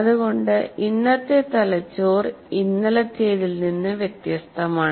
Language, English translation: Malayalam, So the brain is today is different from what it was yesterday